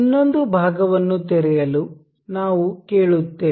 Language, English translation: Kannada, We will ask for another part to be opened